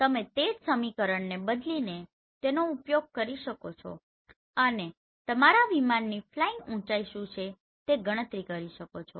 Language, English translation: Gujarati, Now you can always use the same equation by changing it and then you can calculate what is the flying height of your craft